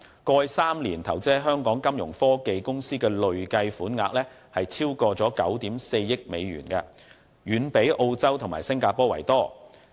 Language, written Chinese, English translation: Cantonese, 過去3年間，投資在香港金融科技公司的累計款額已超過9億 4,000 萬美元，遠比澳洲和新加坡為多。, The cumulative investment in Hong Kong Fintech companies in the past three year has exceeded US940 million way higher than that in Australia and Singapore